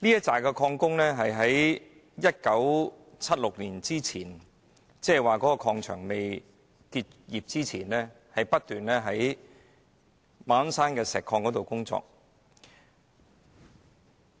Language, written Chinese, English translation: Cantonese, 這批礦工在1976年礦場未結業前，在馬鞍山石礦場工作。, These miners worked at the Ma On Shan Quarry before its closure in 1976